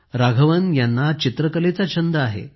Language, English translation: Marathi, Raghavan ji is fond of painting